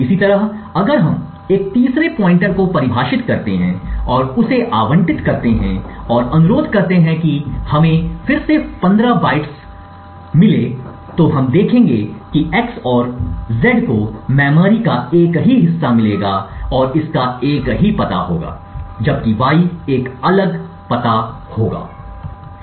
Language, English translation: Hindi, Similarly if we would have had a third pointer defined and allocated it and requested for just let us say 15 bytes again, we would see that x and z would get the same chunk of memory and would have the same address while y would have a different address